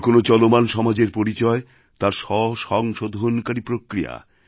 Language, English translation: Bengali, The benchmark of any living society is its self correcting mechanism